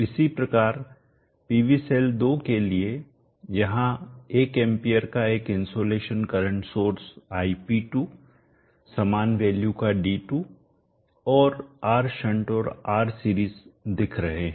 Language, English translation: Hindi, Likewise for PV cell 2 there is an insulation current source ip 2 one amp same value D2 and R shunt and R series connect the picture